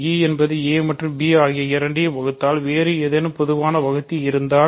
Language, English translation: Tamil, If e divides both a and b, so if there is some other common divisor